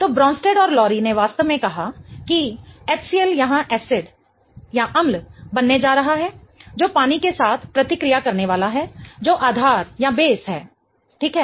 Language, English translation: Hindi, So, Bronsstead and Lowry really termed that HCL is going to be my acid here, okay, which is going to react with water which is the base, okay